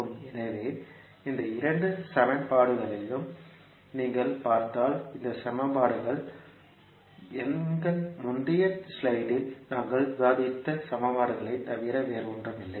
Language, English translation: Tamil, So, if you see these two equations these equations are nothing but the equations which we discussed in our previous slide